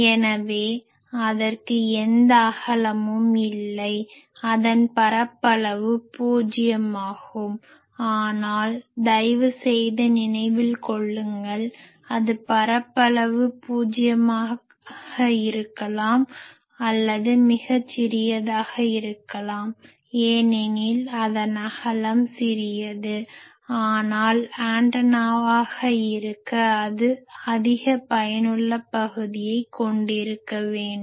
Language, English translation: Tamil, So, it does not have any width so, it is area is zero but, please remember that the it is physical area maybe zero, or very small because its width is small, but to be an antenna it should have a high effective area